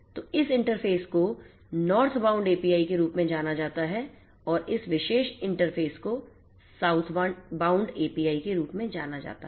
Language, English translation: Hindi, So, this interface is known as the Northbound API and this particular interface is known as the Southbound API